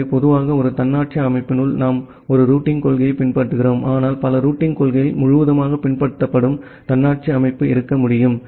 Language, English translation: Tamil, So, in general inside an autonomous system we follow a single routing policy, but well there can be autonomous system where multiple routing policies are followed altogether